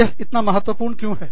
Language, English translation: Hindi, And, why is it important